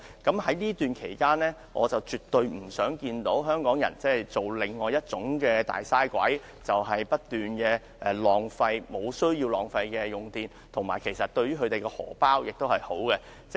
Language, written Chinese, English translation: Cantonese, 在這期間，我絕對不想香港人成為另一種"大嘥鬼"，不斷無必要地浪費電力，而這決議案通過對市民的荷包也有好處。, During this period I definitely do not want Hong Kong people become another kind of Big Waster who keep wasting electricity unnecessarily . The passage of the resolution will also help people save money